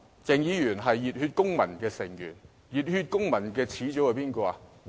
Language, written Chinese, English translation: Cantonese, 鄭議員是熱血公民的成員，熱血公民的始祖是誰？, Dr CHENG is a member of the Civic Passion and who is its founder?